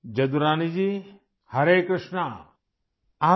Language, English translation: Urdu, Jadurani Ji, Hare Krishna